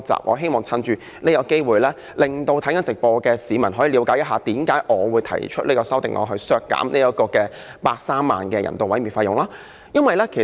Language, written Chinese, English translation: Cantonese, 我希望藉此機會，令收看直播的市民了解我為何提出這項修正案，削減130萬元人道處理動物的費用。, I wish to use this opportunity to let people watching the live broadcast know why I propose this amendment to slash the expenditure of 1.3 million on euthanizing animals